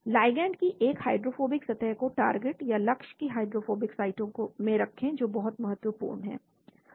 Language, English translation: Hindi, Place a hydrophobic surface of the ligand in hydrophobic sites of the target , that is very important